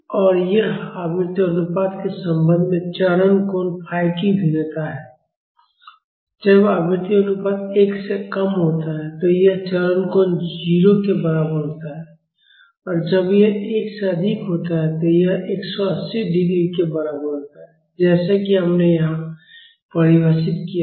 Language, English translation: Hindi, And this is the variation of the phase angle phi with respect to the frequency ratio; when the frequency ratio is less than 1, this phase angle is equal to 0; when it is higher than 1, it is equal to 180 degrees as we have defined here